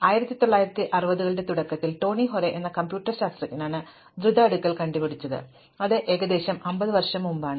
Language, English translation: Malayalam, So, quick sort was invented by a computer scientist called Tony Hoare in the early 1960’s; that is about 50 years ago